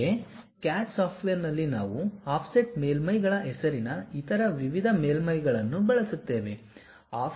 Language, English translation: Kannada, Similarly, at CAD CAD software, we use other variety of surfaces, named offset surfaces